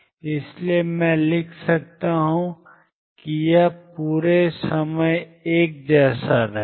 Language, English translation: Hindi, So, I can write it will remain the same throughout